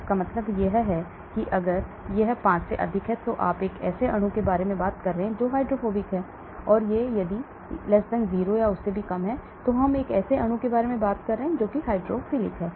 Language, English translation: Hindi, That means if it is more than 5, you are talking about a molecule which is very hydrophobic, and if it is <0 or less, then we are talking about a molecule which is very hydrophilic